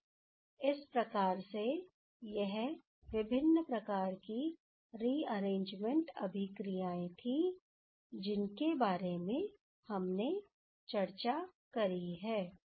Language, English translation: Hindi, So, these are different type of rearrangement reactions that we have discussed now ok